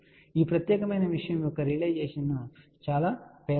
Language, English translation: Telugu, So, the realization of this particular thing becomes very very poor, ok